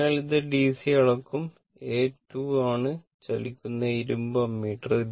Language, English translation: Malayalam, So, it will measure DC and A 2 is the moving iron ammeter